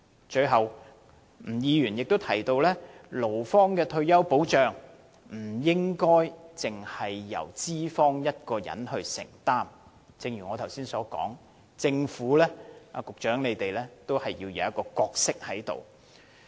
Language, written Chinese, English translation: Cantonese, 最後，吳議員也提到，勞方的退休保障不應該只由資方承擔，正如我剛才所說，政府和局長在當中要擔當一定的角色。, Lastly Mr NG mentioned that retirement protection for employees should not be the sole responsibility of employers . As I have just said the Government and the Secretary have a certain role to play